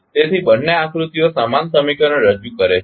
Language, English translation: Gujarati, So, both figures are representing the same equation